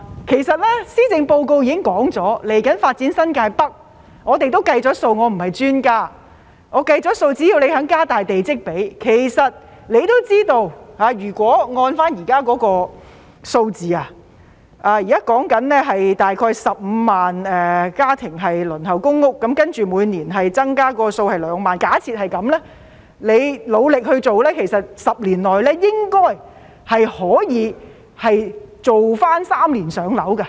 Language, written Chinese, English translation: Cantonese, 其實施政報告已經表明，未來會發展新界北，我不是專家，但我計算過，只要政府願意加大地積比，局長也知道，如果按照現在的數字，大約15萬個家庭輪候公屋，然後假設每年增加2萬，只要局長努力做 ，10 年內應該可以重新達致"三年上樓"的目標。, In fact the Policy Address has already stated that the New Territories North will be developed in the future . I am no expert in this area but I have done some calculations . As long as the Government is willing to increase the plot ratio and as the Secretary knows if the current figure of about 150 000 families on the Waiting List for public rental housing PRH is maintained and assuming an annual increase of 20 000 the Secretary should be able to achieve the target of three - year waiting time for PRH again in 10 years if he works hard